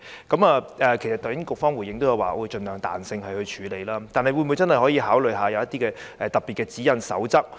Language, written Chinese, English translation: Cantonese, 其實局方剛才已回應說會盡量靈活處理，但當局會否真的考慮訂立一些特別的指引或守則？, While the authorities have stated that they will be as flexible as possible will they consider formulating special guidelines or codes?